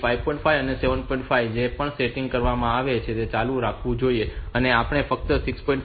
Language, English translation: Gujarati, 5 whatever setting is done that should continue we just want to enable the RST 6